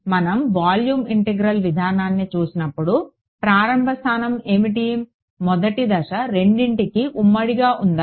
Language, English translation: Telugu, When we move to the volume integral approach what was how what was the starting point, was the first step common to both